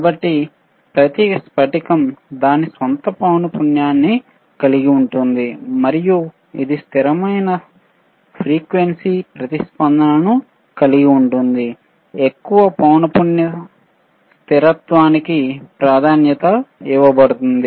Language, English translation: Telugu, So, every crystal has itshis own frequency and it can hold or it can have a stable frequency response, preferred for greater frequency stability